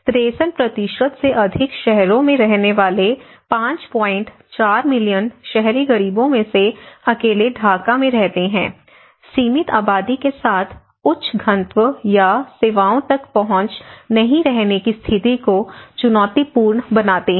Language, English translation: Hindi, 4 million urban poor living in cities more than 63% live in Dhaka alone, high density of population with limited or no access to services make living conditions challenging